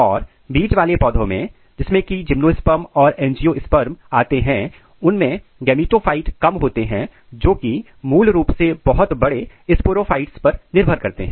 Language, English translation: Hindi, But in seed plants which which includes basically gymnosperm and angiosperm, it has a reduced gametophyte which is basically dependent on the major large sporophyte